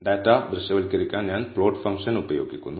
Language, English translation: Malayalam, So, to visualize the data I use the plot function